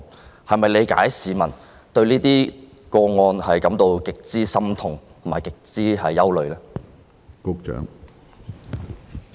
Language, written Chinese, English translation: Cantonese, 你能否理解市民對這些個案的極度心痛及憂慮之情？, Do you understand the grave distress and concern among members of the public over such cases?